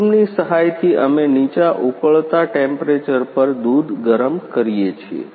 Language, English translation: Gujarati, With the help of steam we heat the milk at the lower boiling temperature